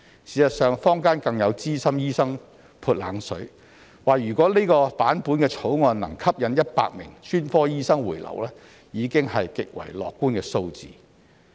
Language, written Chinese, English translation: Cantonese, 事實上，坊間更有資深醫生"潑冷水"，指如果這版本的草案能吸引10名專科醫生回流，已是極為樂觀的數字。, In fact some veteran doctors have even thrown a wet blanket on the idea and said that if this version of the Bill could attract 10 specialists to return to Hong Kong it would already be an extremely optimistic figure